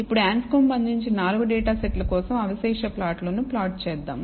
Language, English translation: Telugu, Now, let plot the residual plot for the 4 data sets provided by Anscombe